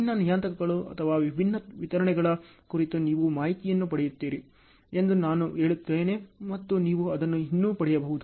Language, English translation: Kannada, I would still say you will get information on different parameters or different deliverables and so on you can still get it